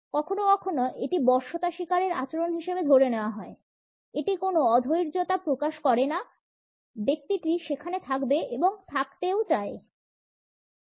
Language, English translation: Bengali, Sometimes it is taken a as an act of submission, it does not convey any impatience the person would stay there wants to stay there also